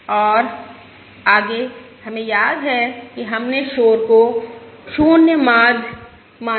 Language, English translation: Hindi, remember, we assumed the noise to be 0 means